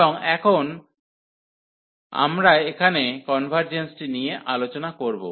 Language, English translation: Bengali, And now we will discuss the convergence here